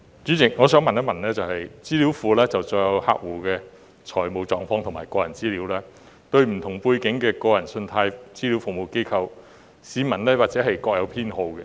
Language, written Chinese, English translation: Cantonese, 主席，資料庫載有客戶的財務狀況和個人資料，而對於不同背景的個人信貸資料服務機構，市民或會各有偏好。, President while consumers financial data and personal information are contained in the database members of the public may have their preferred consumer CRA given the different backgrounds of CRAs